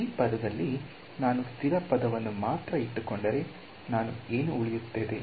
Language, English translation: Kannada, So, in this term if I keep only the constant term what will I get